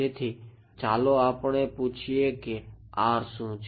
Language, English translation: Gujarati, So, let us ask what is R right